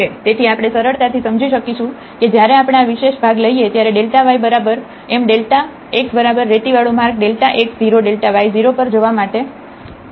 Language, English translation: Gujarati, So, we will easily realize that, when we take this special part delta y is equal to m delta x the linear path to go to delta x 0 delta y 0